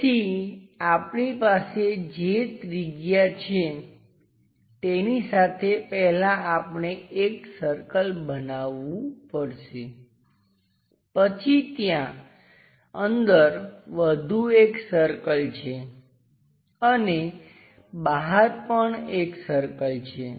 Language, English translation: Gujarati, So, whatever the radius we have with that first we have to make a circle, then internally there is one more circle and outside also there is one more circle